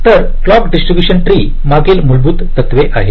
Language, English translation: Marathi, so clock distribution tree looks something like this